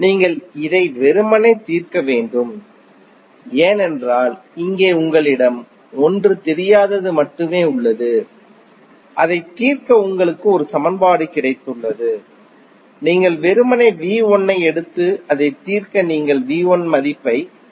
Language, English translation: Tamil, You have to just simply solve it because here you have only 1 unknown and you have got one equation to solve it, you simply take V 1 out and solve it you will get the value of V 1 as 79